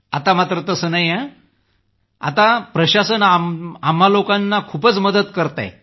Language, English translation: Marathi, But in present times, the administration has helped us a lot